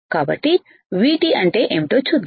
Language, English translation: Telugu, That so let us see what is V T